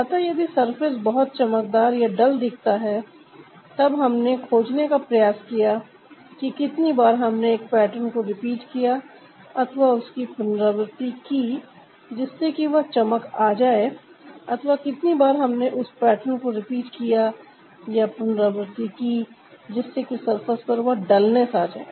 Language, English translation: Hindi, so if the surface looks like a very shiny or dull, we try to find out how many times we have repeated a pattern to get that shiner and how many times we have repeated that particular pattern to get that dullness on the surface